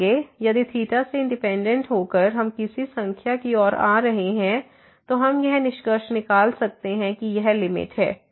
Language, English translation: Hindi, So, if the independently of theta we are approaching to some number, we can conclude that that is the limit